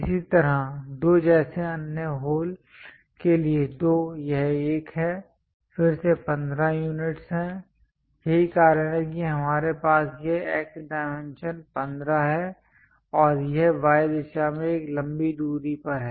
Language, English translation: Hindi, Similarly, for the other holes like 2, 2 is this one; again 15 units that is the reason we have this X dimension 15 and it is at a longer distance in Y direction